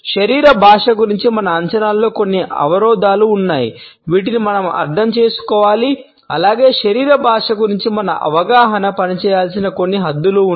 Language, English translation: Telugu, In our assessment of body language there are certain constraints which we have to understand as well as certain boundaries within which our understanding of body language should work